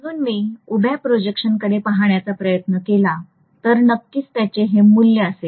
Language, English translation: Marathi, So if I try to look at the vertical projection it will exactly have this value